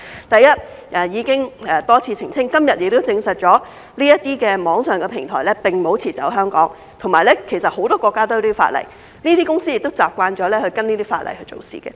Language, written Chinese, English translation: Cantonese, 第一，已經多次澄清，今天亦證實這些網上平台並沒有撤離香港，而且很多國家其實都有這些法例，這些公司亦習慣了按照這些法例做事。, First it has been clarified many times and is also confirmed today that these online platforms have no intention to leave Hong Kong . Besides many countries actually have the relevant laws and these companies are used to working according to these laws